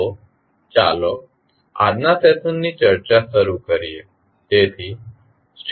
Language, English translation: Gujarati, So, let us start the discussing of today’s session